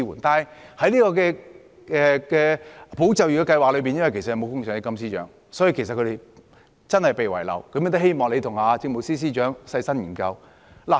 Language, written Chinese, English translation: Cantonese, 但是，在保就業的計劃中，他們今次真的被遺漏了，故我希望司長你和政務司司長細心研究。, Regrettably the employment support scheme has neglected their needs . Hence I hope the Financial Secretary and the Chief Secretary for Administration will examine this carefully